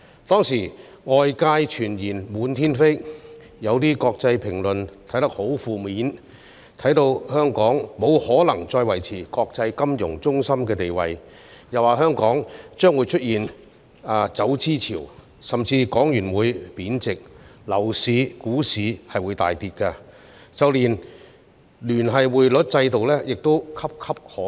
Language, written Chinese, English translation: Cantonese, 當時，外界謠言滿天飛，有些國際評論很負面，認為香港沒法再維持國際金融中心的地位，又指香港將出現走資潮、港元會貶值、樓市和股市大跌，甚至連聯繫匯率制度亦岌岌可危。, Rumours were rife outside Hong Kong back then and some international commentaries were rather negative suggesting that Hong Kong could no longer maintain its status as an international financial centre that there would be a capital flight that the Hong Kong dollar would depreciate that its property and stock markets would plummet and that even the linked exchange rate system was in jeopardy